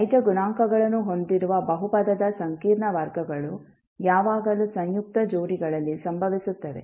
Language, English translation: Kannada, So, the complex roots of the polynomial with real coefficients will always occur in conjugate pairs